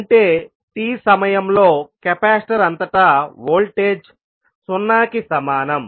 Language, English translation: Telugu, That means the voltage across capacitor at time t is equal to 0